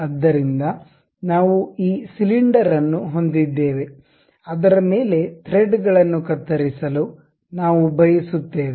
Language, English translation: Kannada, So, we have this cylinder on which we would like to have something like a threaded cut on it